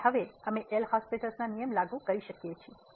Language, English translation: Gujarati, And now we can apply the L’Hospital rule